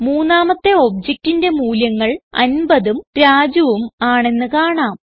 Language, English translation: Malayalam, We can see that the third object contains the values 50 and Raju